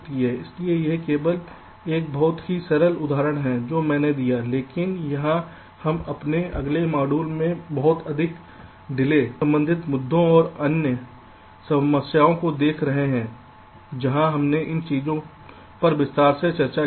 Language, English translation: Hindi, so this is just a very simple example i have given, but here we shall be looking at much more delay, ah, delay related issues and other problems there in in our next modules, where we discussed these things in detail